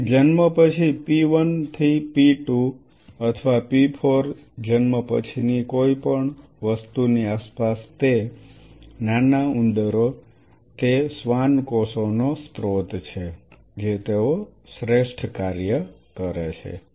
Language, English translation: Gujarati, So, around something around p 1 to p 2 or p 4 postnatal after birth those teeny tiny rats those are the source of Schwann cells they work the best